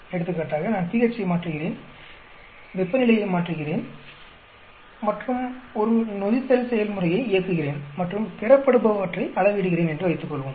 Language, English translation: Tamil, For example, suppose I am changing pH, and I am changing the temperature, and running a fermentation process and measuring the product yield